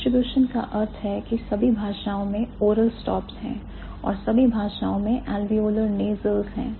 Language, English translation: Hindi, The distribution is that all languages have oral stops and all languages have alveolar nasals